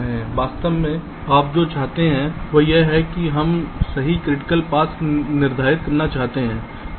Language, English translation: Hindi, so actually what you want is that we want to determine the true critical paths